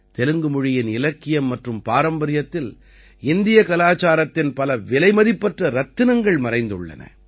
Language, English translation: Tamil, Many priceless gems of Indian culture are hidden in the literature and heritage of Telugu language